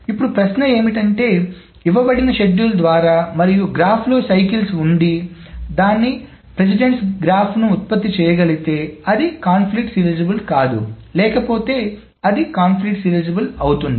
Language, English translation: Telugu, Now the question then becomes is that given a schedule one can produce its precedence graph and if the graph contains cycles then it is not conflict serializable otherwise it is